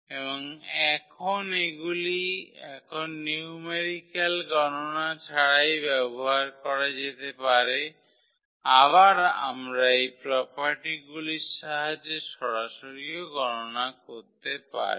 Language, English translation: Bengali, And now they can be used now without doing all these numerical calculations we can compute directly also with the help of these properties